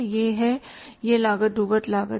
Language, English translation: Hindi, This is the this cost is the sunk cost